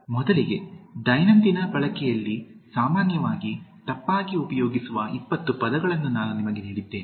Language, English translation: Kannada, Just to begin with, I gave you about 20 commonly misused words in everyday usage